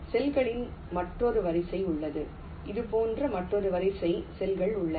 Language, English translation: Tamil, there is another row of cells, there is another row of cells like this